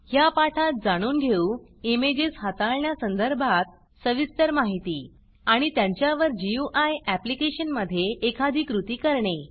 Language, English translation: Marathi, In this tutorial, we will learn in detail about handling images And perform actions on them, in a sample GUI application